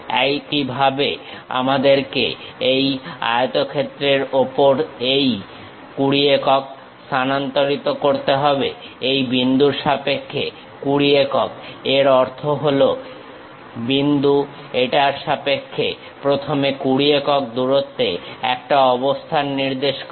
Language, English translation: Bengali, Similarly, we have to transfer this 20 units on the rectangle, with respect to this point 20 units; that means, this is the point with respect to that 20 units first locate it